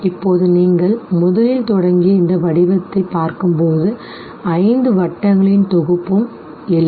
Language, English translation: Tamil, Now when you look at this very pattern, you started from the first, came up to the whole set of five rings